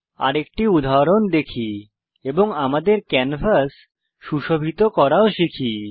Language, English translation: Bengali, Lets look at another example and also learn how to beautify our canvas